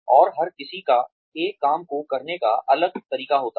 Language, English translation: Hindi, And, everybody has a different way of doing, the same thing